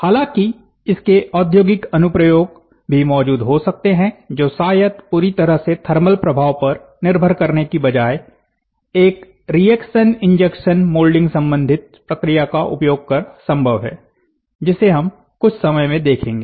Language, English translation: Hindi, However, industrial applications may also exist, perhaps using a reaction injection molding related process rather than relying entirely on a thermal effect is also possible reaction, injection we will see that in due course of time